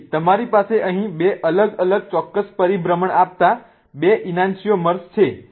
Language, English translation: Gujarati, So, you have two enantiomers giving you two separate specific rotations here